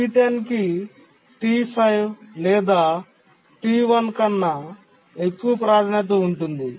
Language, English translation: Telugu, T10 is higher priority than T5 or T1